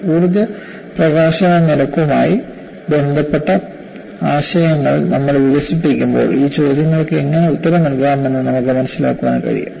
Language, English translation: Malayalam, When we develop the concepts related to energy release rate, we would be able to appreciate how these questions can be answered